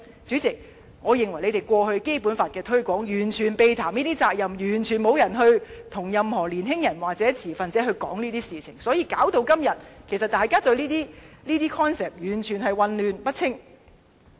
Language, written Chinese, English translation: Cantonese, 主席，我認為政府過去就《基本法》的推廣，完全避談這些責任，完全沒有與任何年輕人或持份者討論這些事情，因此來到今天，大家對這些概念其實完全混淆不清。, President the Government totally missed these responsibilities while promoting the Basic Law previously and had never brought up these issues in the discussions with young people or stakeholders . Therefore the people are completely confused about these concepts today